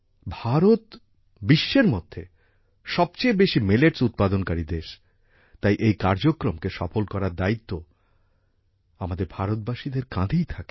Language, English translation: Bengali, India is the largest producer of Millets in the world; hence the responsibility of making this initiative a success also rests on the shoulders of us Indians